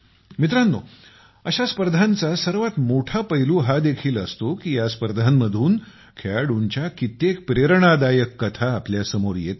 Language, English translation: Marathi, Friends, a major aspect of such tournaments is that many inspiring stories of young players come to the fore